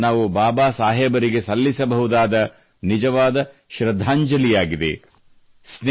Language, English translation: Kannada, This shall be our true tribute to Baba Saheb